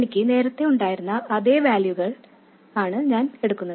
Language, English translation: Malayalam, I am taking exactly the same values that I had earlier